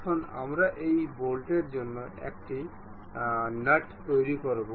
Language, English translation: Bengali, Now, we will construct a nut for this bolt